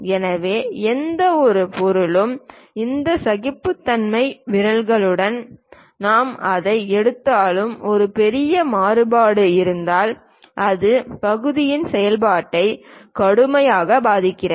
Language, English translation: Tamil, So, any object whatever you take with these tolerance things, if there is a large variation it severely affects functionality of the part